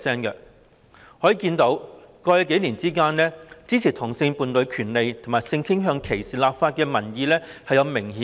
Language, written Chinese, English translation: Cantonese, 由此可見，在過去數年間，支持同性伴侶權利及性傾向歧視立法的民意有明顯增長。, It can thus be seen that over the past several years there was a marked increase in the number of people who supported the rights of homosexual couples and legislating against sexual orientation discrimination